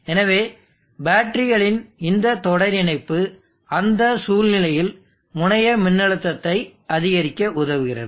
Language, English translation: Tamil, So this series connection of batteries aid in that situation, so it results and increased terminal voltage